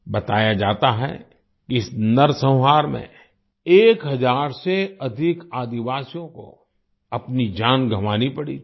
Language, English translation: Hindi, It is said that more than a thousand tribals lost their lives in this massacre